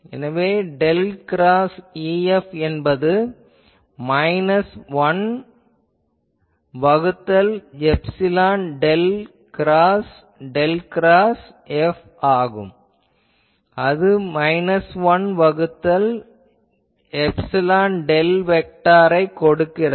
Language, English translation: Tamil, So, then I get del cross E F is equal to minus 1 by epsilon del cross del cross F and that gives me minus 1 by epsilon del vector identity